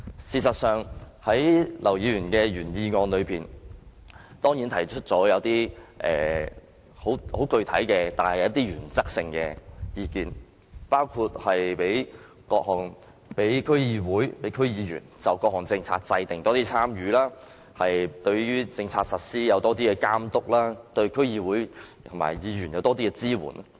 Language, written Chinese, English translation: Cantonese, 事實上，劉議員的原議案中，當然提出了一些很原則性的意見，包括讓區議員多參與各項政策的制訂及對政策的實施有更強的監督，以及政府對區議會和區議員提供更多支援。, Mr LAUs original motion certainly presents some very fundamental views including allowing DC members greater participation in formulating various policies stronger supervision of policy implementation as well as more support provided by the Government to DCs and DC members